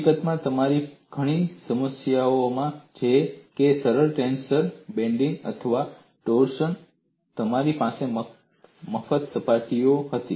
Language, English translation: Gujarati, In fact, in many of your problems like simple tension, bending, or torsion, you had free surfaces